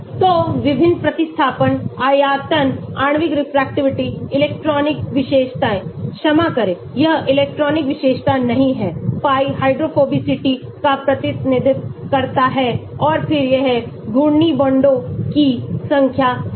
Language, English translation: Hindi, So different substituents, volume, Molecular refractivity, electronic feature, sorry this is not electronic feature, pi represents the hydrophobicity and then this is number of rotative bonds